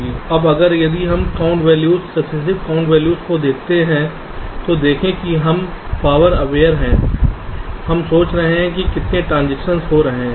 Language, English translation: Hindi, now, if we look at this count value, successive count values, see, now we are somewhat power aware